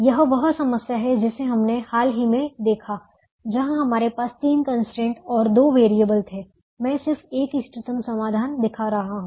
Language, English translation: Hindi, this is the problem that we looked at recently, where we had three constraints and two variables